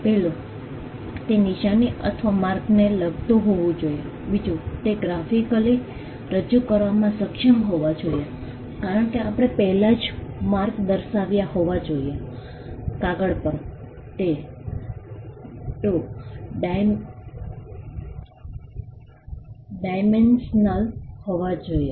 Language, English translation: Gujarati, 1, it should pertain to a sign or a mark; 2, it should be capable of being represented graphically, as we had already mentioned the mark should be capable of being shown on, paper the it has to be 2 dimensional